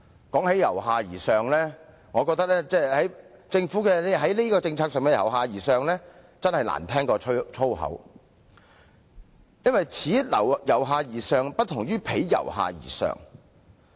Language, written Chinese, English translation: Cantonese, 談到這方面，我覺得政府在這項政策上的所謂"由下而上"真是比粗言穢語更難聽，因為此"由下而上"不同於彼"由下而上"。, In this connection I think the so - called bottom - up approach adopted by the Government in respect of bazaars development is even worse than foul language because this bottom - up approach is different from the other bottom - up approach